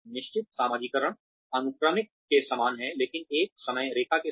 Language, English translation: Hindi, Fixed socialization is similar to sequential, but with a timeline